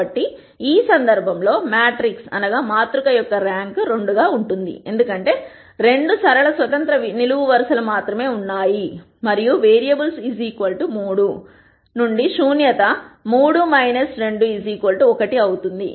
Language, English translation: Telugu, So, in this case as we saw before the rank of the matrix would be 2 because there are only two linearly independent columns and since the number of variables is equal to 3, nullity will be 3 minus 2 equal to 1